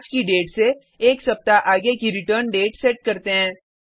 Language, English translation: Hindi, We set the return date as one week from current date